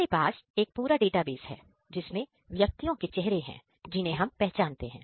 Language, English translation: Hindi, We have a database of known faces